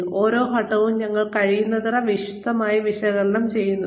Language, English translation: Malayalam, And, we analyze each step, in as much detail as possible